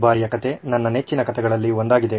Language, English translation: Kannada, This time it’s one of my favourite stories